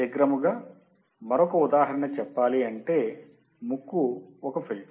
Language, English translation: Telugu, Just to give an quick example nose is the filter